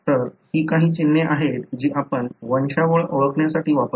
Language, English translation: Marathi, So, these are some of the symbols that we use to identify the pedigree